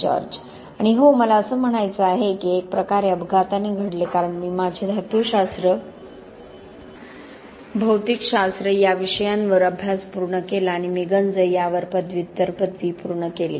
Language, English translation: Marathi, And yes, I mean it was kind of accidentally in a way because I completed my studies on metallurgy, material science and I finished the Master's degree on corrosion